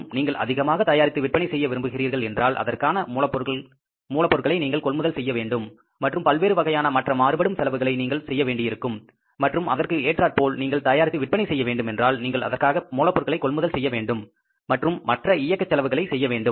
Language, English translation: Tamil, More you want to produce and sell, more you have to buy the raw material and incur the other variable expenses and less you want to manufacture and sell accordingly you have to buy the raw material and incur the other operating expenses